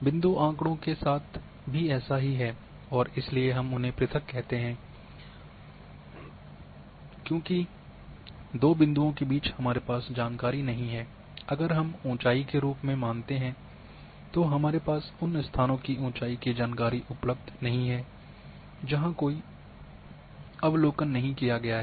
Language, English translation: Hindi, Same with the point data and therefore we call them as discrete that between two points we do not have an information about the; what if we consider as a height then we do not have the height of these locations where no observations are available